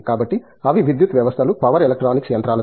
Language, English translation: Telugu, So, that is to do with power systems, power electronics machines